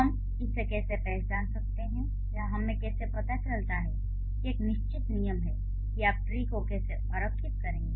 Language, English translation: Hindi, What, how do we identify or how do we find out that there is a certain rule how you are going to draw the tree